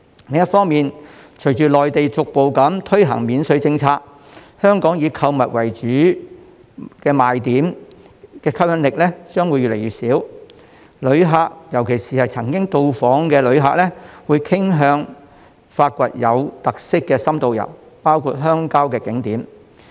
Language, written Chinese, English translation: Cantonese, 另一方面，隨着內地逐步推行免稅政策，香港以購物為主要賣點的話，吸引力將越來越小，旅客——尤其是曾訪港的旅客——會傾向發掘有特色的深度遊，包括遊覽鄉郊景點。, On the other hand with the gradual implementation of the duty - free policy in the Mainland Hong Kongs appeal will be fading if shopping remains our main selling point . Tourists especially those who have visited Hong Kong are more inclined to find some in - depth local tours with unique characteristics such as visiting attractions in the rural areas